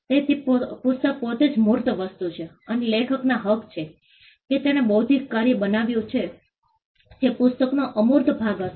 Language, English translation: Gujarati, So, the book in itself is the tangible thing and the rights of the author the fact that he created an intellectual work that would be the intangible part of the book